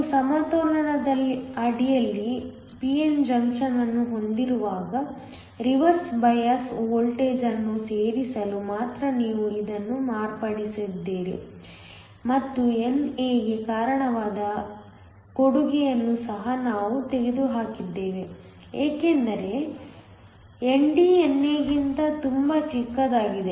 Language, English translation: Kannada, When you have a p n junction under equilibrium, So, you only modified it to add the reverse biased voltage and we also removed the contribution due to NA because ND is much smaller than NA